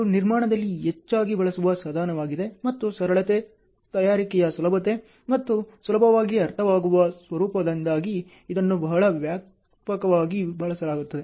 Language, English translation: Kannada, It is a most frequently used tool in construction and because of the simplicity, ease of preparation and easy understandable format, it is very widely used